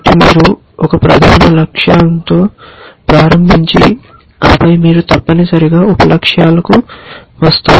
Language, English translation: Telugu, So, you start with a major goal and then you come to the sub goals essentially